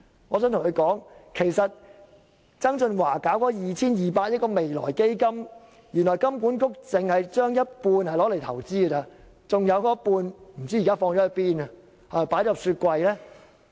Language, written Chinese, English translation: Cantonese, 我想對他說，曾俊華成立的 2,200 億元未來基金，原來金管局只把一半錢用作投資，另一半現時不知去向。, May I tell him that HKMA has only invested half of the 220 billion of the Future Fund established by John TSANG while the whereabouts of the other half of the amount is unknown